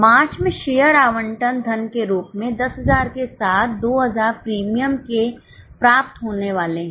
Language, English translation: Hindi, 10,000 as a share allotment money to be received in March along with the premium of 2000